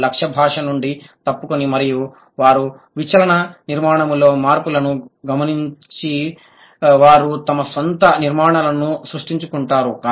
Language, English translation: Telugu, what the learners do, they deviate from the target language and they note the changes in the deviant structure and they create their own constructions